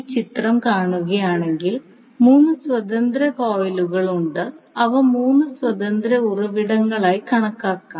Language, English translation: Malayalam, So, if you see this particular figure, so, these 3 coils are independent coils, so, you can consider them as 3 independent sources